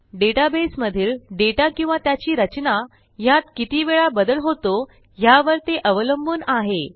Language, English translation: Marathi, This depends on how often the database gets changed in terms of data or its structure